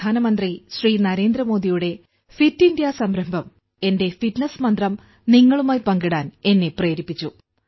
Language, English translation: Malayalam, Honorable Prime Minister Shri Narendra Modi Ji's Fit India initiative has encouraged me to share my fitness mantra with all of you